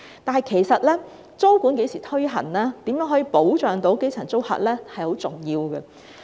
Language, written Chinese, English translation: Cantonese, 然而，租務管制何時推行，以及如何保障基層租客，也甚為重要。, However when tenancy control will be implemented and how the grass - roots tenants can be protected are also vitally important